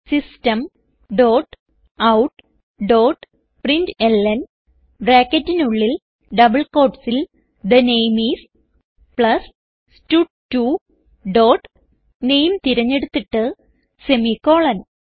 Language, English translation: Malayalam, System dot out dot println within brackets and double quotes The name is, plus stud2 dot select name and semicolon